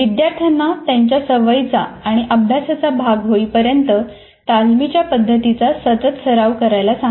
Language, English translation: Marathi, Remind students to continuously practice rehearsal strategies until they become regular parts of their study and learning habits